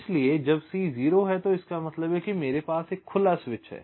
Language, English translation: Hindi, so when c is zero, it means that i have a open switch